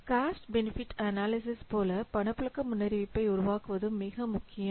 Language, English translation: Tamil, So like cost benefit analysis, it is also very much important to produce a cash flow forecast